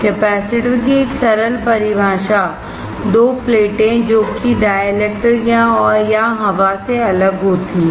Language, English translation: Hindi, A simple definition of a capacitor is 2 plates separated by a dielectric or air